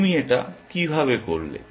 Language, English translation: Bengali, How do you do that